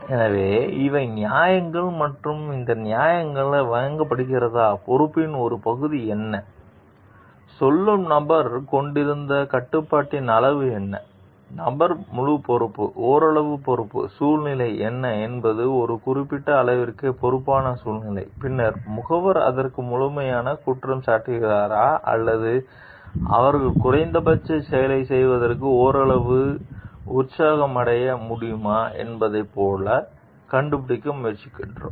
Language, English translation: Tamil, So, these are justifications and we have to see whether, these justifications given, what is the part of responsibility, what is the degree of control that the person telling was having, was the person fully responsible, somewhat responsible, what are the situational was a situation responsible to certain extent and then we try to figure out like whether, the agent is fully to blame for it or they at least can be partially excused for doing the act